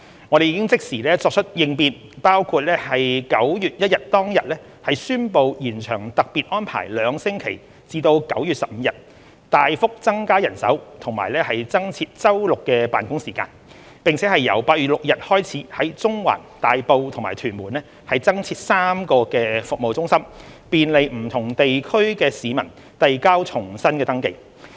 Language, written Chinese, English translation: Cantonese, 我們已即時作出應變，包括9月1日當天宣布延長特別安排兩星期至9月15日、大幅增加人手及增設周六的辦公時間，並由9月6日開始在中環、大埔及屯門增設3間服務中心，便利不同地區的市民遞交重新登記。, We have responded immediately including announcing on 1 September that the special arrangement would be extended for two weeks to 15 September increasing manpower substantially and making available additional service hours on Saturdays . In addition to facilitate resubmission of registrations by people in different districts we have operated three additional service centres in Central Tai Po and Tuen Mun starting from 6 September